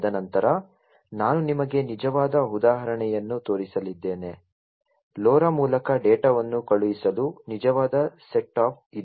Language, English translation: Kannada, And then I am going to show you a real example, a real set up for sending data over LoRa so that I am going to show next